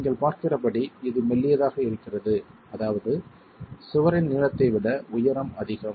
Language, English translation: Tamil, And as you can see, it's rather slender, meaning the height is more than the length of the wall itself